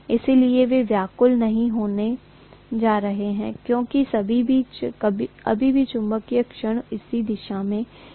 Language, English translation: Hindi, So they are not going to be disturbed any more because still the magnetic moment is in the same direction